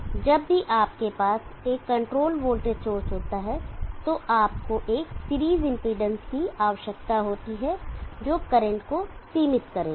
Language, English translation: Hindi, So whenever you are having control voltage source you need to have a series impedance which will limit the current